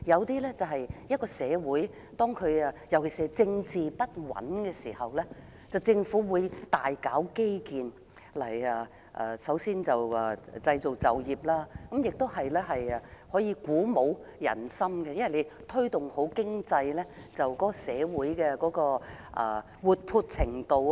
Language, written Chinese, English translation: Cantonese, 當一個社會的政局不穩，政府都會大搞基建，一方面創造就業，另一方面鼓舞人心，因為推動經濟可提高社會的活潑程度。, When a society is politically unstable the government will usually invest heavily in infrastructure to create jobs and at the same time boost social morale by increasing social vibrancy through economic development